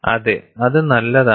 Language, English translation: Malayalam, Yes, that is good